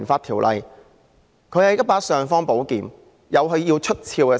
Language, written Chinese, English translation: Cantonese, 《條例》是一把"尚方寶劍"，自有它需要出鞘之時。, PP Ordinance is an imperial sword which should be drawn where necessary